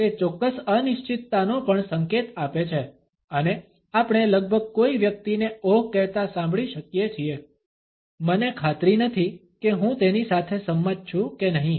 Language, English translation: Gujarati, It also signals certain uncertainty and we can almost hear a person saying oh, I am not sure whether I agree with it